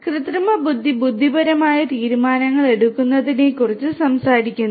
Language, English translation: Malayalam, So, artificial intelligence talks about making intelligent decisions